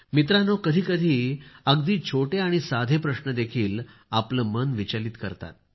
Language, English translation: Marathi, Friends, sometimes even a very small and simple question rankles the mind